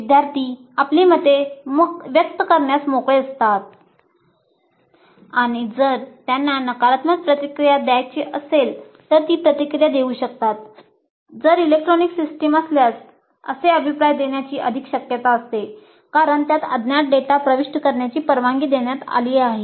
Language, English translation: Marathi, Because the feedback is electronic and it is anonymous, the students are free to express their opinions and if they have negative feedback which they wish to give they would be more likely to give such a feedback if the system is electronic because it permits anonymous data to be entered